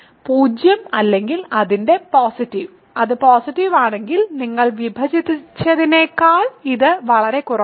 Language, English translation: Malayalam, So, either 0 or its positive, if it is positive it is strictly less than what you have divided with ok